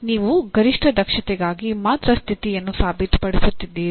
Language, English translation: Kannada, You are only proving the condition for maximum efficiency